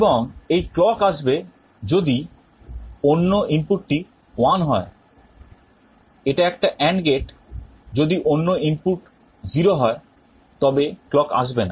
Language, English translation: Bengali, And this clock will be coming provided the other input is at 1, this is an AND gate if the other input is 0 then the clock will not come